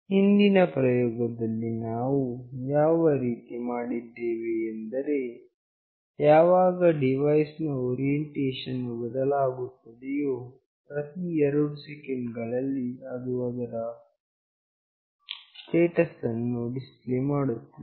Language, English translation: Kannada, In the previous experiment, we have done it in a fashion that whenever the device orientation changes, after every 2 seconds it is displaying the status